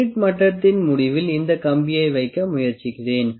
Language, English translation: Tamil, Let me try to put this wire on the end of the spirit level